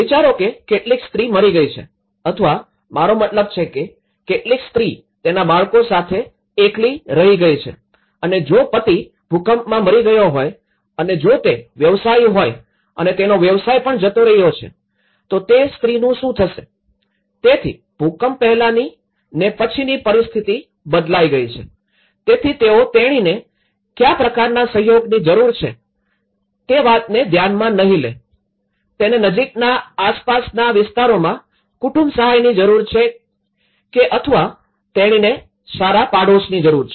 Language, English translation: Gujarati, Just imagine some woman have died or I mean, some woman is left alone with her children and if a husband was died in an earthquake, if he was a businessman and his business was lost so, what happens to the woman so, which means a situation have changed from before disaster to the post disaster, so they will not take an account what kind of support she needs, she needs an external family support in the nearby vicinity areas or she needs a good safe neighbourhood